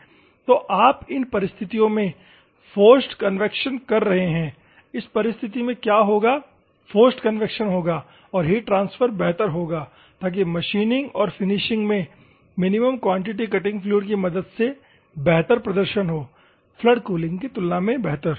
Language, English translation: Hindi, So, you are forced convection will be an in these circumstances, what will happen in this circumstances, the forced convection will take place and the heat transfer will be better so that the performance of this finishing or machining in terms of minimum quantity cutting fluid will be much better compared to flood cooling